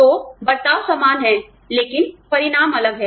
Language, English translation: Hindi, So, the treatment is the same, but the consequences are different